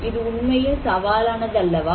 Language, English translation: Tamil, So, is it not really challenging